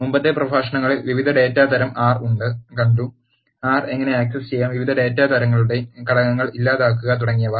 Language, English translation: Malayalam, In the previous lectures we have seen various data types of R, how to access R delete the elements of the different data types and so on